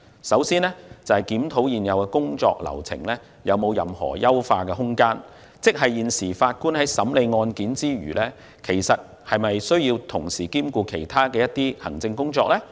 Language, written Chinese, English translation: Cantonese, 首先，要檢討現有的工作流程有否優化空間，即法官除審理案件外，是否要同時兼顧其他行政工作。, First it has to review whether there is room for optimization of work processes ie . whether Judges should perform other administrative tasks in addition to hearing cases